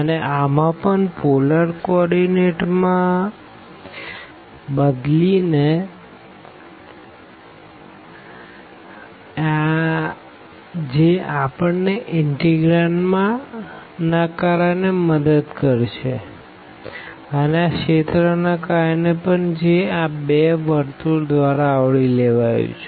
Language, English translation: Gujarati, So, again certainly in this case are changing to polar coordinate will help us because of the integrand and as well as because of the region here which is bounded by these two circle